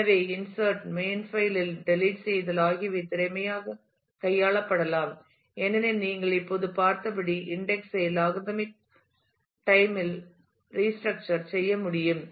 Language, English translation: Tamil, So, insertion, deletions to the main file can be handled efficiently as the index can be restructured in logarithmic time as you have just seen